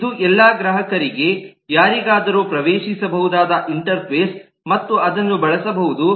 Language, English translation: Kannada, this is the interface which is accessible to all clients, anybody and can use that